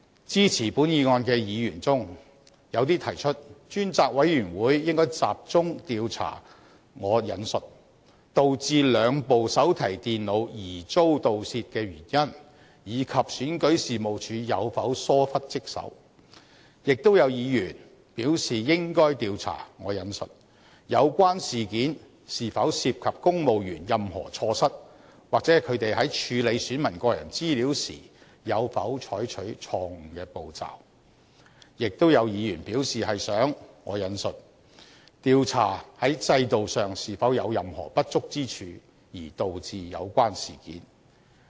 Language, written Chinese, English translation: Cantonese, 支持本議案的議員中，有些提出專責委員會應該集中調查"導致兩部手提電腦疑遭盜竊的原因，以及選舉事務處有否疏忽職守"，亦有議員表示應該調查"有關事件是否涉及公務員任何錯失，或他們在處理選民個人資料時有否採取錯誤的步驟"，亦有議員表示是想"調查在制度上是否有任何不足之處而導致有關事件"。, Among those Members who support the motion some suggest that the task force should focus on investigating the causes leading to the suspected theft of the two notebook computers and whether there is dereliction of duty on the part of REO . Some Members say that it should investigate whether the incident has anything to do with the mistakes made by civil servants or whether they have taken the wrong steps in handling the personal data of electors . Some other Members say that they want to investigate whether there are any systemic inadequacies which might have caused the incident